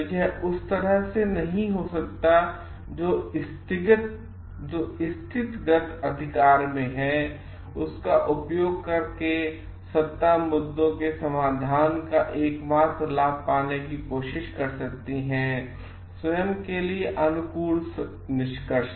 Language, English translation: Hindi, So, it may not so happened like the person who is in positional authority by using that power may try to get the only the benefit of the resolution of the issues and getting a favorable conclusion for himself or herself